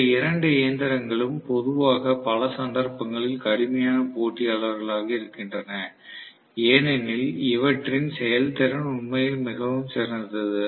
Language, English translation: Tamil, So, both these machines are generally tough competitors in many cases because the efficiency is really, really better